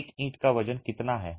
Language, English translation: Hindi, What is the weight of a brick roughly